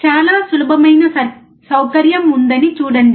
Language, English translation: Telugu, See there is a very easy provision